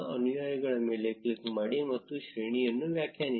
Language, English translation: Kannada, Click on followers and define the range